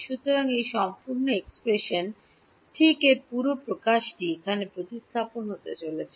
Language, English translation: Bengali, So, this whole expression right this whole expression over here is going to get substituted into here